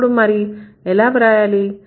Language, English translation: Telugu, So, then how should we write